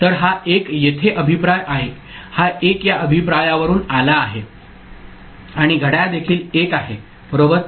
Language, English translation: Marathi, So, this 1 is feedback here, this 1 is there coming from this feedback and clock is also 1 right